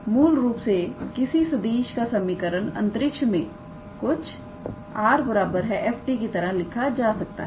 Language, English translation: Hindi, So, basically the equation of the curve in space can be written as r equals to f t